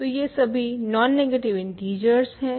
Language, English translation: Hindi, So, these are all non negative integers